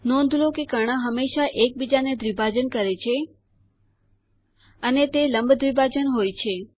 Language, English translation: Gujarati, Notice that the diagonals always bisect each other and are perpendicular bisectors